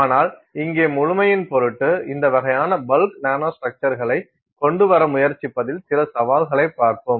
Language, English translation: Tamil, But we will see that for the sake of completeness here, look at some challenges involved in trying to come up with these kinds of bulk nanostructures